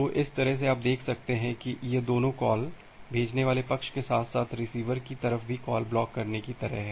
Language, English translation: Hindi, So, that way you can see that both of this calls are kind of blocking call at the sender side as well as the receiver side